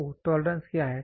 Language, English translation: Hindi, So, tolerance what is tolerance